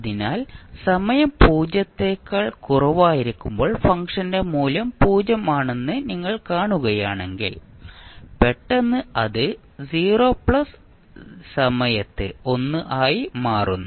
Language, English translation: Malayalam, So, if you see the the function value is 0 upto time just less than 0 and suddenly it becomes 1 at time 0 plus